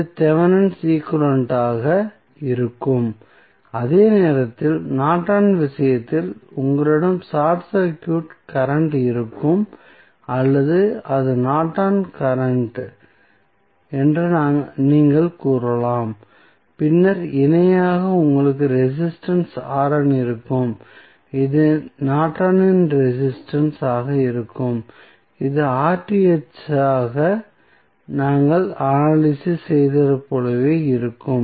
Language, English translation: Tamil, So, this would be Thevenin's equivalent, while in case of Norton's you will have current that is short circuit current or you can say it is Norton's current and then in parallel you will have resistance R n that is Norton's resistance, which will be, which would be found similar to what we did analysis for Rth